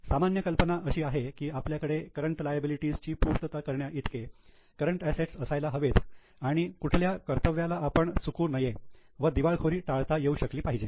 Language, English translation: Marathi, General idea is we should have enough of current assets to meet the current liabilities and avoid any default or bankruptcy